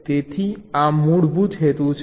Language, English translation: Gujarati, so this is the basic purpose